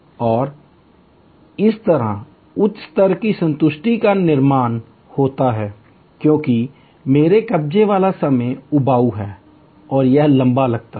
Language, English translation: Hindi, And thereby higher level of satisfaction is created, because I am occupied time is boring and it feels longer